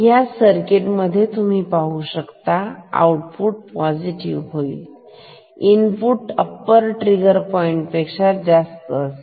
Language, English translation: Marathi, So, for this circuit you see output will become positive when input goes above the upper trigger point ok